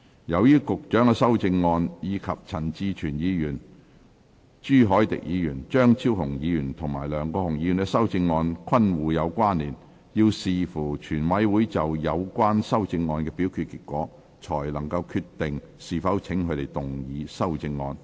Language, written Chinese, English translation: Cantonese, 由於局長的修正案，以及陳志全議員、朱凱廸議員、張超雄議員和梁國雄議員的修正案均互有關連，要視乎全委會就有關修正案的表決結果，才決定是否請他們動議修正案。, As the Secretarys amendments and Mr CHAN Chi - chuens Mr CHU Hoi - dicks Dr Fernando CHEUNGs and Mr LEUNG Kwok - hungs amendments are interrelated subject to the voting results of the relevant amendments in committee they may be called upon to move their amendments